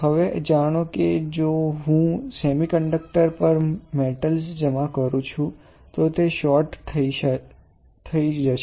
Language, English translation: Gujarati, Now, as you know if you if I deposit metal on semiconductor it will get short right